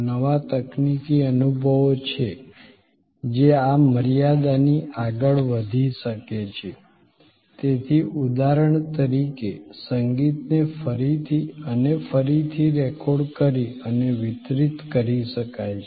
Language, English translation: Gujarati, There are new technological experiences that can go beyond this limitation, so like for example, music can be recorded and delivered again and again